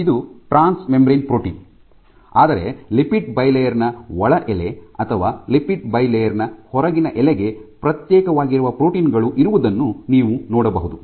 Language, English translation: Kannada, So, this is firm of a transmembrane protein, but you can have proteins which are either sequestered to the inner leaf of the lipid bilayer or the outer leaf of the bilayer ok